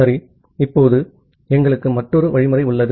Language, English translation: Tamil, Well now, we have another algorithm